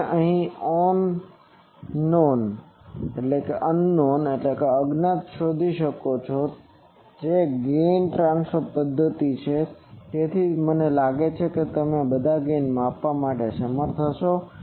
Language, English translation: Gujarati, So, you can find out the unknown thing so this is gain transfer method, so I think all of you will be able to measure gain